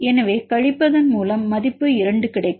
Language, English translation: Tamil, So, the subtract will get the value 2